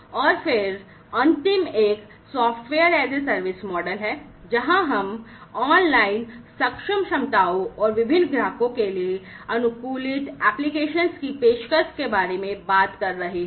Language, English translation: Hindi, And then the last one is the software as a service model, where we are talking about offering online capable a capabilities and customized applications to different customers